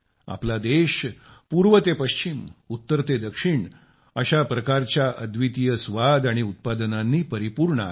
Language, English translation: Marathi, From East to West, North to South our country is full of such unique flavors and products